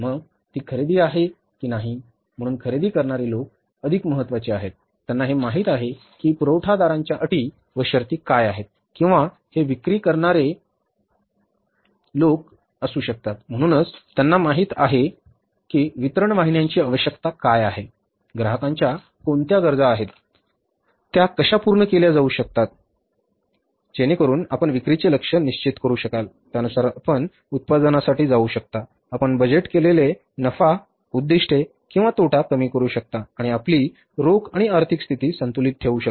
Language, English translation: Marathi, So, whether it is a purchase, so purchase people are more important, they know that what are the terms and conditions of suppliers or it may be the sales people, so they know what are the requirements of channels of distribution, what are the requirements of the customers and how to achieve the sales target so that you can fix up the sales target, you can go for the production accordingly, you can achieve the budgeted profit objectives or the loss minimizing objectives and keeping your cash in the financial position balanced